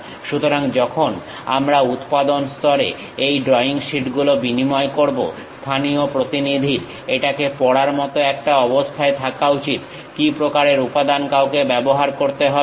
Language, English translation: Bengali, So, when we are sharing these drawing sheets to the production line; the local representative should be in a position to really read, what kind of material one has to use